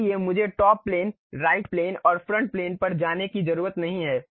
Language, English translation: Hindi, So, I do not have to really jump on to top plane, right plane and front plane